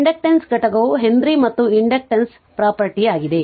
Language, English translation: Kannada, The unit of inductance is Henry and inductance is the property right